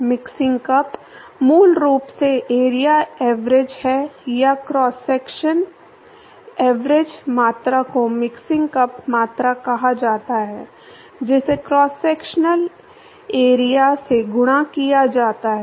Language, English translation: Hindi, Mixing cup is basically area average or cross sectional average were quantity is called mixing cup quantity that multiplied by the cross sectional area